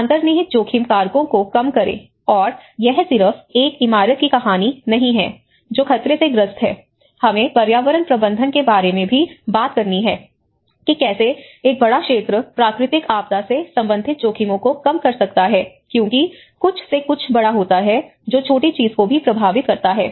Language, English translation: Hindi, Reduce the underlying risk factors; and it is not just a story of a building which is prone to the hazard, it also we have to talk about the environmental management, how a larger sector can reduce the risks related to natural disaster because it is all a chicken and egg story you know something happens here, something happens big, something happens big it happens it affects the small thing